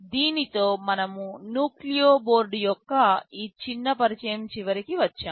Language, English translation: Telugu, With this we come to the end of this very short introduction of Nucleo board